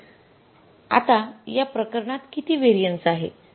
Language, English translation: Marathi, So, how much is this variance now